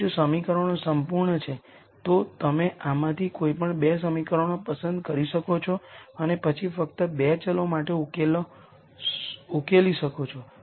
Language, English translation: Gujarati, Now if the equations are all perfect, you could pick any 2 equations from this and then simply solve for the 2 variables